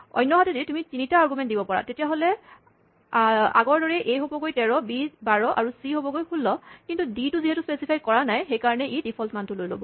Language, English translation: Assamese, On the other hand, you might provide 3 arguments, in which case, a becomes 13, b becomes 12 as before, and c becomes 16, but d is left unspecified; so, it pick up the default value